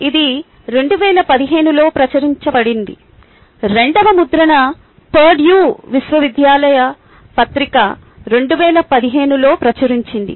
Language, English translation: Telugu, the second addition was published in twenty fifteen by the purdue university press